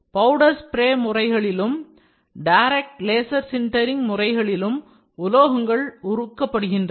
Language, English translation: Tamil, Metals are molten in powder spray processes and in direct laser sintering